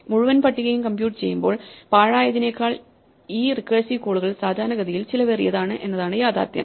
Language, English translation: Malayalam, The reality is that these recursive calls will typically cost you much more, than the wastefulness of computing the entire table